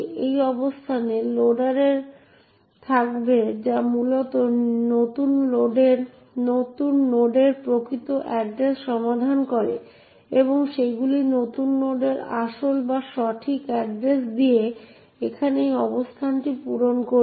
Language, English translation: Bengali, This location would be in the loader which essentially resolves the actual address of new node and these were would then fill in this location over here with the real or the correct address of new node